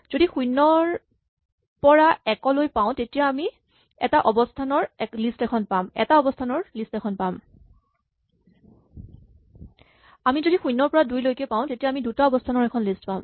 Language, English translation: Assamese, If I have 0 to 1, then I have a list of one position, it is only if I have 0 to 2 that I have at least two elements